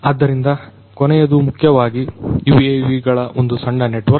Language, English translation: Kannada, So, the last one is basically a small network of UAVs